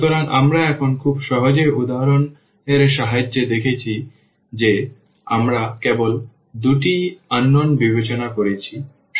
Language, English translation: Bengali, But, we have seen here with the help of very simple examples where we have considered only two unknowns